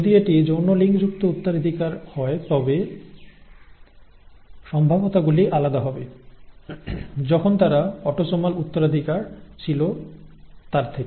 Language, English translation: Bengali, If it is sex linked inheritance the probabilities would be different from what we have seen if they had been autosomal inheritance